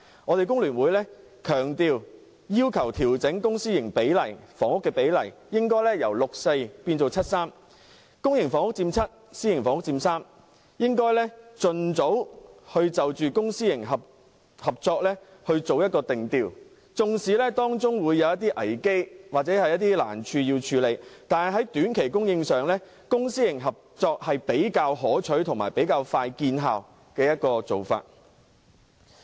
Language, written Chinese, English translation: Cantonese, 香港工會聯合會強烈要求調整公私營房屋的比例，應該由 6：4 改為 7：3， 公營房屋佔 7， 私營房屋佔 3， 並盡早就公私營合作定調，儘管當中會有危機或難處，但在短期供應上，公私營合作是比較可取和快見成效的做法。, The Hong Kong Federation of Trade Unions FTU strongly urges the Government to adjust the public - private housing ratio from 6col4 to 7col3 that is 70 % of public housing and 30 % of private housing and expeditiously set the tone for public - private partnership which is a comparatively desirable and effective solution to short - term housing supply despite some risks or difficulties involved